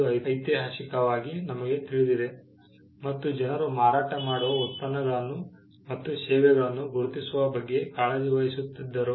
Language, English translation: Kannada, Historically we know that people used to be concerned about identifying the products and the services they were selling